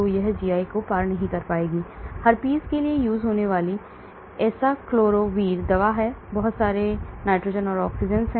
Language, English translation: Hindi, Acyclovir this for herpes so you will see a lot of nitrogens and oxygens